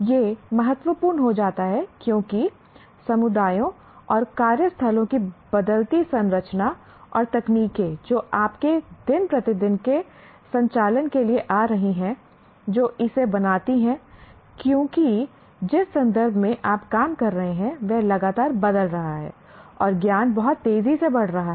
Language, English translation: Hindi, That is because this becomes important because the changing structure of communities and workplaces and the technologies that are coming for your day to day operations, that makes it because the context in which you are operating is continuously changing and the knowledge is growing very fast